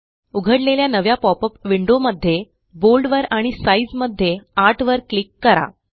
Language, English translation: Marathi, In the new popup window, let us click on Bold and click on size 8, And let us click on the Ok button